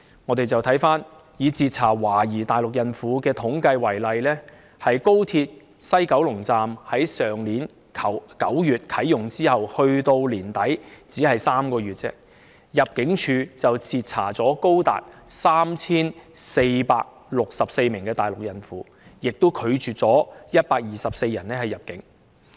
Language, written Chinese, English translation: Cantonese, 我們看看以截查懷疑大陸孕婦的統計數字為例，入境處在高鐵西九龍站去年9月啟用後至去年年底共3個月期間，截查了高達 3,464 名大陸孕婦，拒絕了當中124人入境。, Let us take a look at the statistics on the number of suspected pregnant Mainland women intercepted as an example . At the West Kowloon Station of XRL during the three months from its commissioning last September to the end of last year ImmD intercepted as many as 3 464 pregnant Mainland women among whom 124 were refused entry